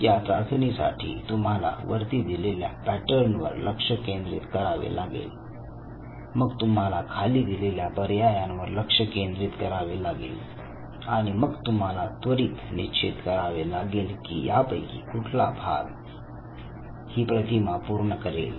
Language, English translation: Marathi, Now what this test requires you to do is that look at the pattern that shown on the top of this screen and then you have options you have to look at the options given at the bottom and you have to quickly decide which of these pieces will fit the cut piece from the top image so that the pattern gets completed